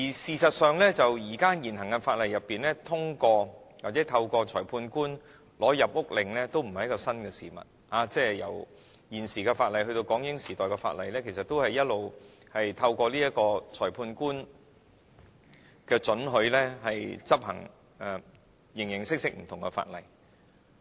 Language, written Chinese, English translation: Cantonese, 事實上，在現行法例下透過裁判官取得入屋搜查令也不是新的事物，無論現時法例以至港英時代的法例，其實一向均透過裁判官的准許，讓有關人員執行形形色色不同的法例。, In fact it is nothing new under the existing legislation to obtain a search warrant from a magistrate in order to enter and search a premises . No matter the provisions in existing legislation or the laws of the British - Hong Kong era public officers are permitted to enforce various laws through obtaining the magistrates authorization